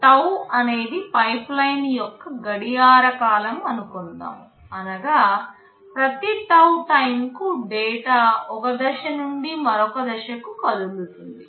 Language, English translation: Telugu, Let us say tau is the clock period of the pipeline, which means, every tau time data moves from one stage to the other